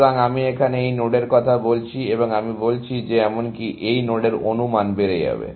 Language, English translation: Bengali, So, I am talking of this node here, and I am saying that even, the estimate of this node will go up